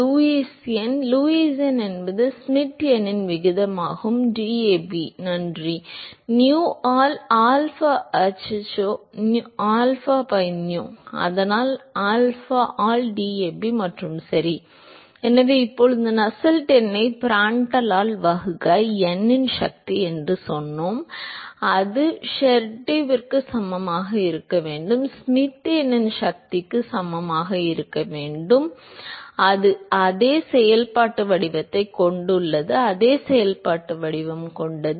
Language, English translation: Tamil, We said that Lewis number, the Lewis number is the ratio of Schmidt number to Prandtl number Nu by DAB thank you, into Nu by alpha oops alpha by nu, so that alpha by DAB and ok So, now we said that Nusselt number divided by Prandtl to the power of n that should be equal to Sherwood by Schmidt number to the power of n and that has the same functional form; that has the same functional form